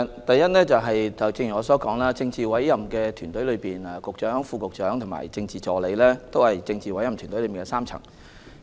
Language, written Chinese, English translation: Cantonese, 第一，正如我剛才所說，政治委任團隊包括局長、副局長和政治助理3個層次的官員。, First as I said earlier the political appointment team comprises three tiers of officials including Directors of Bureau Deputy Directors of Bureau and Political Assistants